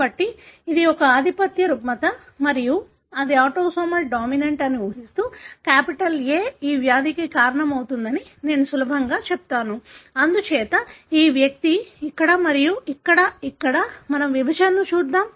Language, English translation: Telugu, So, assuming it is a dominant disorder and it is autosomal dominant, I would easily say that the capital A causes this disease, therefore this individual is this and here, here, here, here, here